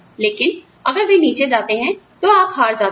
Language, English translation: Hindi, But, if they go down, you lose